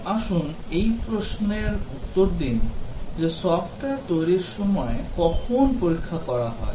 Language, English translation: Bengali, Now, let us answer this question that when is testing carried out in the software development